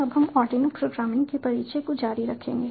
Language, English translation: Hindi, now we will continue with the introduction to arduino programming